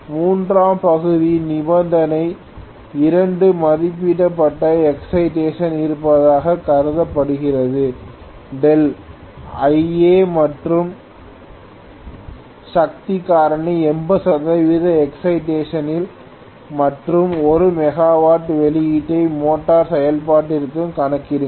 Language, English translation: Tamil, Third portion is assuming that condition 2 is at rated excitation, calculate delta Ia and power factor at 80 percent excitation and 1 megawatt output for motoring operation, okay